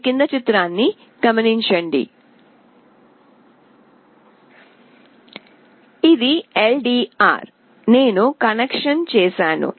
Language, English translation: Telugu, This is the LDR; I have made the connection